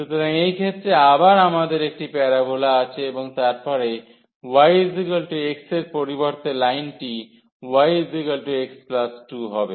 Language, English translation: Bengali, So, in this case again we have one parabola and then the line instead of y is equal to x we have y is equal to x plus 2